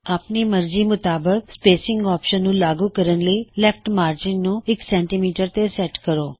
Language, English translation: Punjabi, Set the spacing options that you want to use by setting the value of the Left margin to 1.00cm